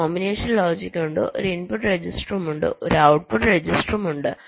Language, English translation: Malayalam, there is a combinational logic, there is a input register, there is a output register